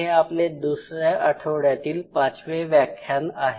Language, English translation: Marathi, So, today we are into the fifth lecture of the second week